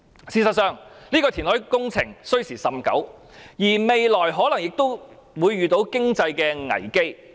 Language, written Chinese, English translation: Cantonese, 事實上，這項填海工程需時甚久，未來可能遇上經濟危機。, In fact as this reclamation project will span a fairly long time economic crises may occur in the interim